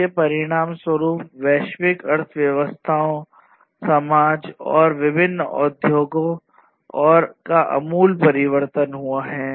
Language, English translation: Hindi, And this basically has resulted in the radical transformation of the global economies, the societies, and the different industries